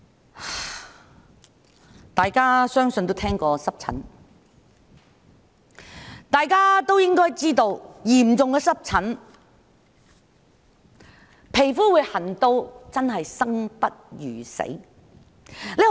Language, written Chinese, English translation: Cantonese, 相信大家都聽過濕疹，應該知道嚴重的濕疹會令皮膚痕癢至令人生不如死。, I believe that everyone has heard of eczema and knows that severe eczema can cause the skin to itch so badly that one would rather die than live